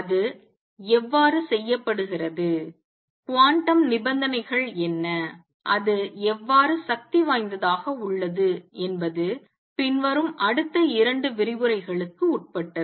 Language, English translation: Tamil, How it is done, what are the quantum conditions, and how it is the dynamic followed will be subject of next two lectures